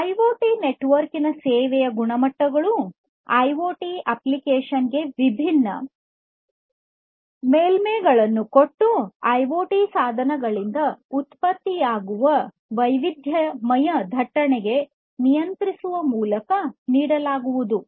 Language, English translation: Kannada, So, quality of service of IoT network talks about guarantees; guarantees with respect to offering different surfaces to the IoT applications through controlling the heterogeneous traffic generated by IoT devices